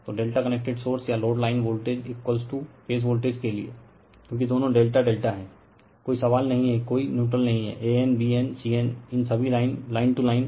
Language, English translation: Hindi, So, for delta connected source or load line voltage is equal to phase voltage because, both are delta delta, there is no question neutral no an bn cn these all line to line